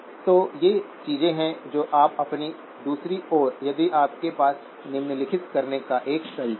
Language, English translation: Hindi, So these are things that you; now on the other hand, if you had a way of doing the following